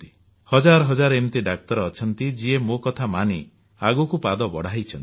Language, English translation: Odia, There are thousands of doctors who have implemented what I said